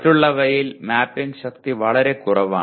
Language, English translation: Malayalam, Whereas in the others, the mapping strength is much lower